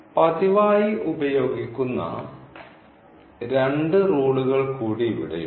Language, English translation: Malayalam, There are two more rules frequently used here